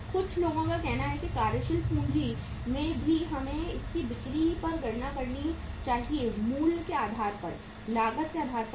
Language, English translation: Hindi, Some people say that in the working capital also we should calculate it on the selling price basis, not on the cost basis